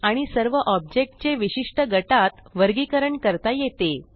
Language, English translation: Marathi, And All the objects can be categorized into special groups